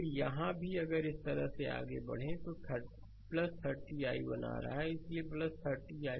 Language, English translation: Hindi, Then here also, if you move like this so plus 30 i 1 is coming so plus 30 i 1 right